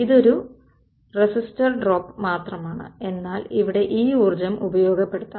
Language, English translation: Malayalam, So, it's only a resistor drop, but here this energy can be exploited